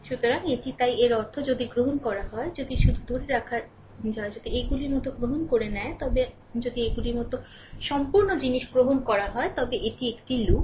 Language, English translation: Bengali, So, let me clear it, right so; that means, if you take; if you if you take just hold on; if you take if you take like these, if you take complete thing like these, it is a loop, right, it is a loop